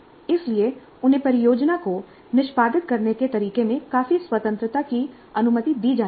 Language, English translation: Hindi, So they must be allowed to have comfortable freedom in the way they execute the project